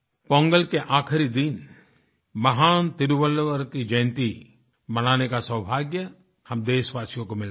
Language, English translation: Hindi, The countrymen have the proud privilege to celebrate the last day of Pongal as the birth anniversary of the great Tiruvalluvar